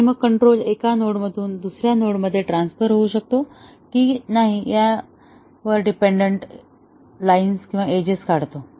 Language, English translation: Marathi, And then, we draw edges depending on whether control can transfer from a node to another node